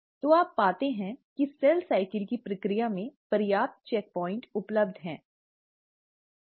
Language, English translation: Hindi, So, you find that there are enough checkpoints available in the process of cell cycle